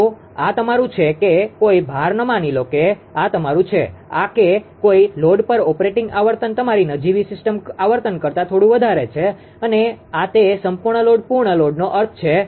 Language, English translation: Gujarati, So, this is your ah that is that at no load suppose this is your f NL this that operating frequency at no load slightly a higher than your nominal system frequency and this is that full load full load means